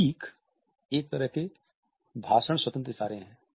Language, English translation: Hindi, Emblems are a speech independent gestures